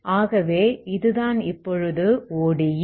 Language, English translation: Tamil, So this is the ODE now